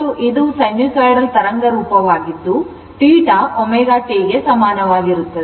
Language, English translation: Kannada, And this is a sinusoidal waveform you only sinusoidal waveform and theta is equal to omega t right